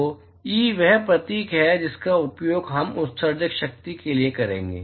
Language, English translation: Hindi, So, E is the symbol that we will use for emissive power